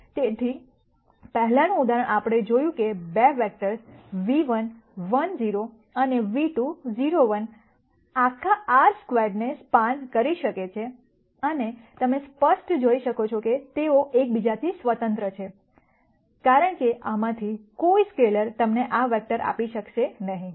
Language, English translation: Gujarati, So, the previous example, we saw that the 2 vectors v 1 1 0 and v 2 0 1, can span the whole R squared and you can clearly see that they are independent of each other, because no multiple scalar multiple of this will be able to give you this vector